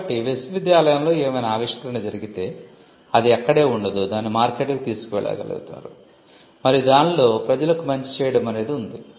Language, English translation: Telugu, So, there is whatever happens within the university does not remain there, it is taken to the market and there is a public good involved in it